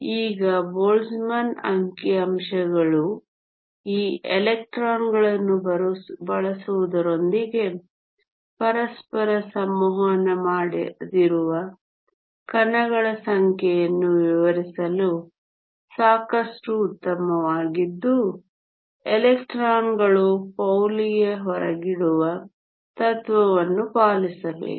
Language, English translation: Kannada, Now, a Boltzmann statistics is good enough to describe a set of non interacting particles problem with using these electrons is that electrons have to obey PauliÕs exclusion principle